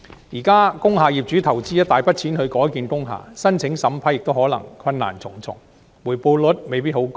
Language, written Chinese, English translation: Cantonese, 現時工廈業主須投資一大筆錢才能改建工廈，申請審批亦可能困難重重，回報率未必很高。, The conversion of industrial buildings nowadays requires substantial investments by owners with potentially great difficulties in seeking approval and returns that are not necessarily lucrative